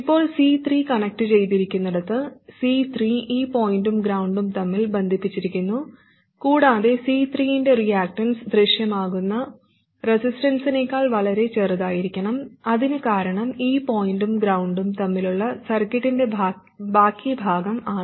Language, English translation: Malayalam, C3 is connected between this point and ground, and the reactance of C3 must be much smaller than the resistance that appears because of the rest of the circuit between this point and ground